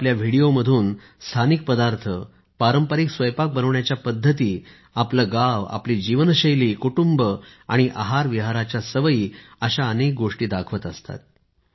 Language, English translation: Marathi, In his videos he shows prominently the local dishes, traditional ways of cooking, his village, his lifestyle, family and food habits